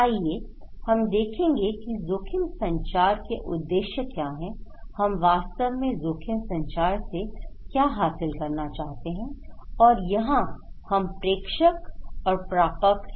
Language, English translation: Hindi, Let us look what are the objectives of risk communications, what we really want to achieve from risk communication, where here is so we have sender and the receiver